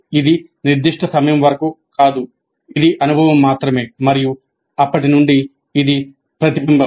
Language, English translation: Telugu, It is not that up to certain point of time it is only experience and from then onwards it is reflection